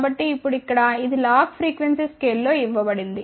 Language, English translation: Telugu, So, now this one here is given in log frequency scale